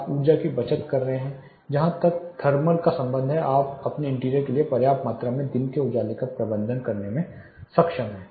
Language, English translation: Hindi, You are saving energy as far thermal is concerned you are also able to manage enough amount of daylight for your interior